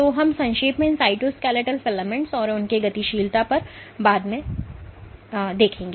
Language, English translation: Hindi, So, we will briefly touch upon these cytoskeletal filaments and their dynamics later in the course